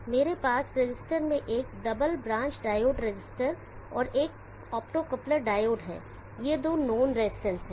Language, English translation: Hindi, I am having a double branch diode resistor and optocoupler diode in the resistor, these two resistance are known